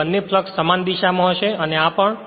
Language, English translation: Gujarati, So, both the flux will be same direction this one and this one